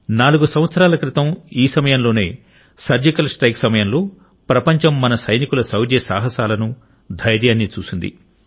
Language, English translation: Telugu, Four years ago, around this time, the world witnessed the courage, bravery and valiance of our soldiers during the Surgical Strike